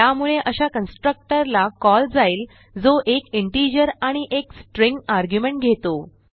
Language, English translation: Marathi, Hence it calls the constructor that accepts 1 integer and 1 String argument